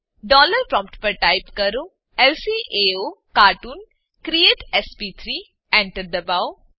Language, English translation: Gujarati, At the dollar prompt type lcaocartoon create sp3 Press Enter